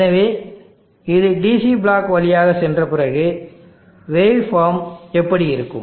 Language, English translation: Tamil, So after it passes through the DC block how will the wave form look like